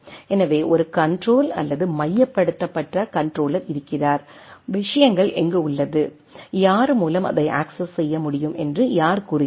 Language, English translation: Tamil, So, there is a control or centralised controller that who says where things will be how things will be accessed